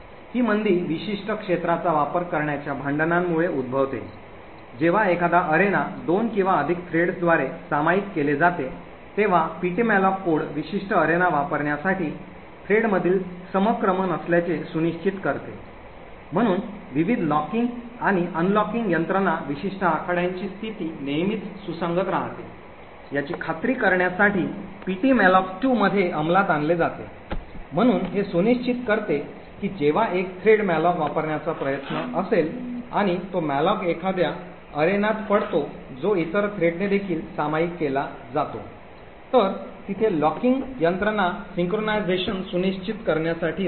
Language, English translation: Marathi, This slowdown is caused due to the contention for using a particular arena when a single arena is shared by 2 or more threads the ptmalloc code ensures that there is synchronisation between the threads in order to use the particular arena, so a various locking and unlocking mechanisms are implemented in ptmalloc2 to ensure that the state of the particular arena is always consistent, so it ensures that when one thread is trying to use a malloc and that malloc falls in an arena which is also shared by other thread then there is a locking mechanism to ensure synchronisation